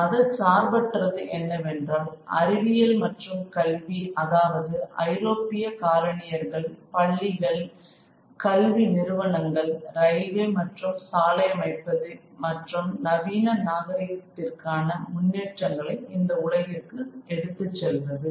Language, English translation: Tamil, And the secular line was of course that of science and education where the European colonizers would set up schools and education institutions and build roads and railways and other sort of advancements of modern civilization, bring the advancements of modern civilization into these worlds